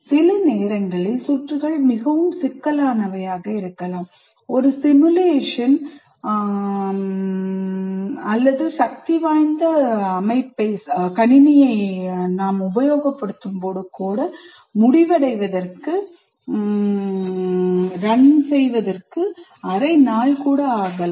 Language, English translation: Tamil, Sometimes the circuits are so complex, one simulation run may take a half a day, even with the powerful computer